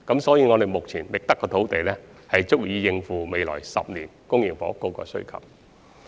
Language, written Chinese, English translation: Cantonese, 所以，目前覓得的土地將足以應付未來10年的公營房屋需求。, Hence land identified so far will be adequate to meet the public housing demand in the next 10 years